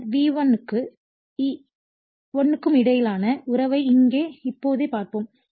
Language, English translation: Tamil, Later we will see the relationship between V1 and E1 similarly here